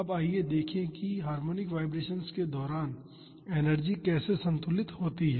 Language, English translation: Hindi, Now, let us see how energy is balanced during harmonic vibrations